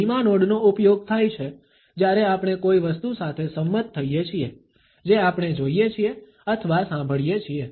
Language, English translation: Gujarati, A slow nod is used when we agree with something we see or listen to